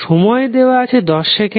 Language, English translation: Bengali, Time is given as 10 seconds